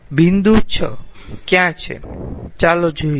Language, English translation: Gujarati, point six: where is the point